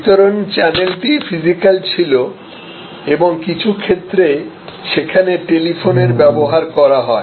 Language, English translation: Bengali, So, the distribution channel was physical and in some cases there where use of telephone and so on